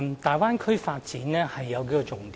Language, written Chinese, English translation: Cantonese, 大灣區的發展有數項重點。, There are several salient points in the development of the Bay Area